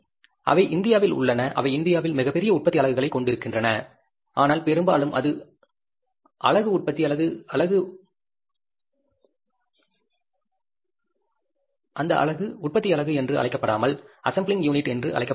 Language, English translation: Tamil, They are into India, they have the bigger, say, manufacturing unit in India, but largely that unit is called as a assembling unit, not the manufacturing unit